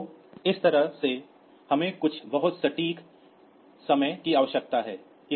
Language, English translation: Hindi, So, that way we need some very precise timing